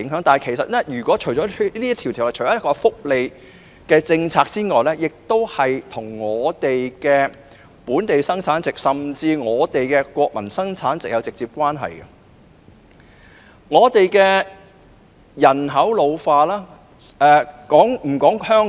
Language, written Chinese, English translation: Cantonese, 《條例草案》除了涉及福利政策外，亦與香港本地生產總值，甚至國民生產總值直接相關，因此必須正視人口老化的問題。, Apart from welfare policies the Bill is also directly related to Hong Kongs GDP and even GNP so we must face up to the problem of an ageing population